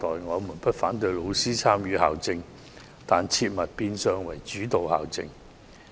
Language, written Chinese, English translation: Cantonese, 我們不反對老師參與校政，但絕對不能變成主導校政。, We do not object to teachers participating in school policies but they should definitely not dominate school policies